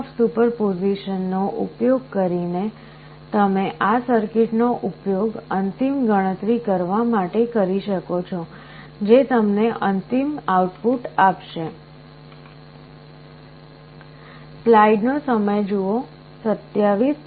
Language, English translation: Gujarati, Using principle of superposition you can use this circuit to carry out the final calculation that will give you the final output